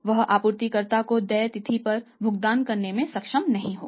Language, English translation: Hindi, But he will not be able to make the payment due date to the supplier